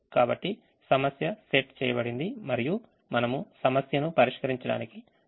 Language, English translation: Telugu, so the problem has been set and we are ready to solve